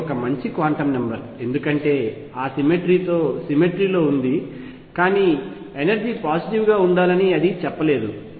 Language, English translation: Telugu, It is also a good quantum number because there is a symmetry it is involved with that symmetry, but it did not say that energy has to be positive